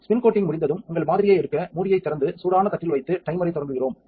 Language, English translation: Tamil, When the spin coating is complete, we open the lid take off our sample and put it on the hot plate and start the timer